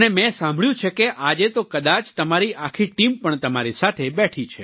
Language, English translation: Gujarati, And I heard, that today, perhaps your entire team is also sitting with you